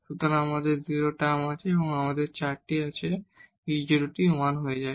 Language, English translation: Bengali, So, we have 0 term there, so we have 4, this e power 0 this becomes 1